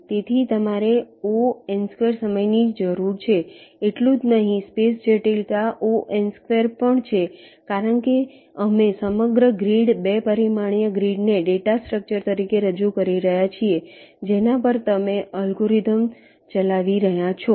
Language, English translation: Gujarati, not only that, also space complexity is order n square because we are representing the entire grid, two dimensional grid, as a data structure on which you are running the algorithm